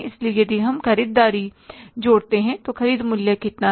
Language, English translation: Hindi, So if you add the purchases here, how much is the purchase value